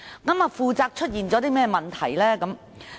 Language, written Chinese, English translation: Cantonese, 其間出現甚麼問題呢？, What problems arose from that?